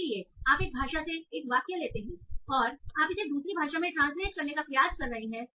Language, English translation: Hindi, So you take sentence from one language and you are trying to translate it to another language